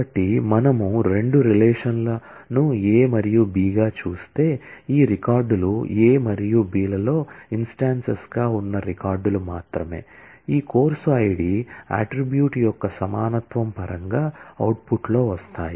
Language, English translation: Telugu, So, if we look at the two relations as A and B only those records, which are both have instance in A as well as B, in terms of equality of this course id attribute will come in the output